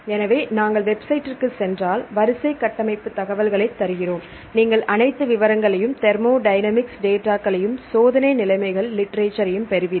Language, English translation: Tamil, So, we give sequence structural information if we go to the website, you will get all the details and the thermodynamic data and the experimental conditions literature and so on